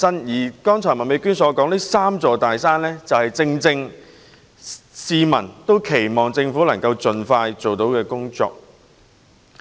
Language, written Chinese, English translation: Cantonese, 麥美娟議員剛才提到的"三座大山"，正是市民期望政府可以盡快處理的問題。, The three big mountains noted by Ms Alice MAK just now are precisely the issues which the public hope to be expeditiously addressed by the Government